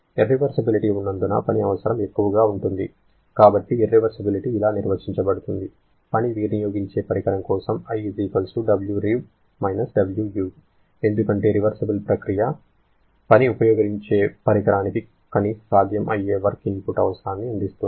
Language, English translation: Telugu, Because of the presence of irreversibilities, the work requirement will be more, so the irreversibility is defined as Wu W reversible because a reversible process gives the minimum possible work input requirement for a work consuming device